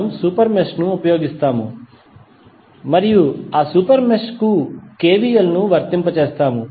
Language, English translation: Telugu, We will use the super mesh and apply KVL to that super mesh